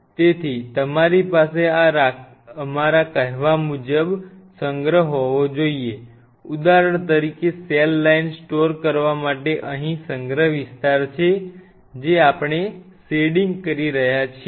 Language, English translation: Gujarati, So, you have to have a storage area of our say for example, a storage area out here for storing the cell line this you will be shading what I am doing